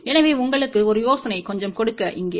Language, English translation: Tamil, So, just to give you a little bit of an idea here